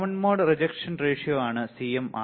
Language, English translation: Malayalam, CMRR is common mode rejection ratio right